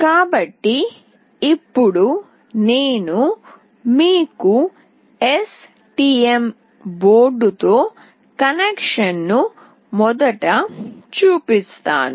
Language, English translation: Telugu, So, now I will be showing you the connection first with STM board